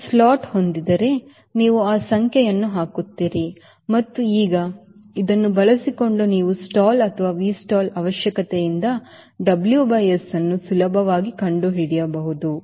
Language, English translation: Kannada, if it has a slot, you will put another that number and now, using this, you can easily find out w by s from stall or v stall requirement